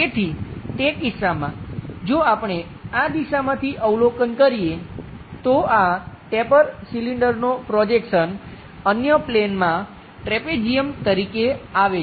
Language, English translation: Gujarati, So, if that is the case, if we are observing from this direction, the projection of this taper cylinder comes as a trapezium on the other plane